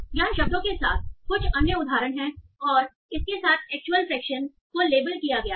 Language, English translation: Hindi, So here are some other examples with the words and the actual fraction with which they are labeled